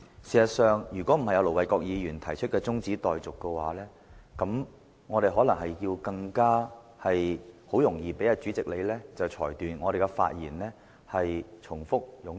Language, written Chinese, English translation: Cantonese, 事實上，如果不是盧偉國議員動議中止待續議案，我們可能更容易被你裁定我們的發言內容重複和冗贅。, If Ir Dr LO Wai - kwok has not moved an adjournment motion you may easily rule that we have made repetitive and redundant remarks